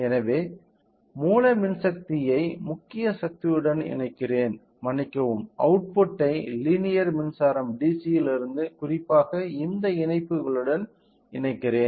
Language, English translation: Tamil, So, let me connect let me connect the raw power to the main power sorry let me connect the output from the linear power supply DC source to this particular to this connectors